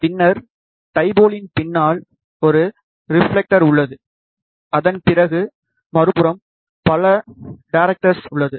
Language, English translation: Tamil, And then, we have a one reflector behind the dipole, and then after that we have multiple directors on the other side